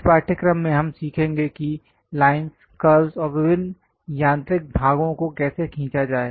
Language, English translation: Hindi, In this subject we are going to learn about how to draw lines, curves, various mechanical parts